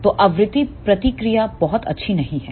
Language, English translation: Hindi, So, the frequency response is not very good